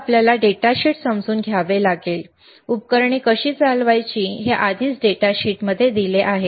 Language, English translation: Marathi, So, that is data sheet that you have to understand the datasheet, how to operate the equipment is already given in the data sheet